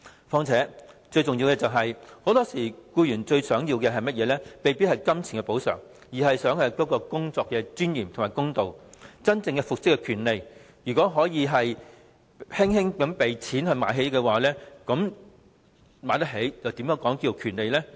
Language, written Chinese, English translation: Cantonese, 況且，最重要的是，僱員很多時候最想得到的，未必是金錢的補償，而是工作的尊嚴和公道，以及真正復職的權利，如果可以輕輕用錢"買起"，又怎能稱為權利？, Besides most importantly what the employee wants most may not be monetary compensation but dignity of work fairness and the genuine right of reinstatement . How can we call something a right which can be bought up by money?